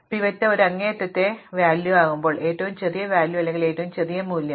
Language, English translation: Malayalam, Well, the worst case is when the pivot is an extreme value, either the smallest value or the biggest value